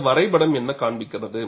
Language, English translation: Tamil, This diagram shows what